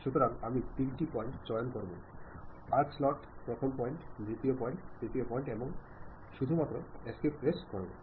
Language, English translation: Bengali, So, I will pick three point, arc slot, first point, second point, third point, and I just move press escape